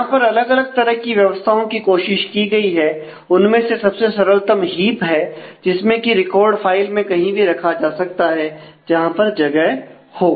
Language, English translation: Hindi, So, there are different organizations that have been tried out the simplest is the heap is a record can be placed anywhere in the file where there is space